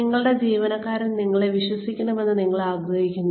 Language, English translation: Malayalam, You want your employees to trust you